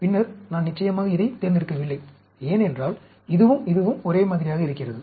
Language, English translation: Tamil, Then, I do not select this, of course, because, this and this look same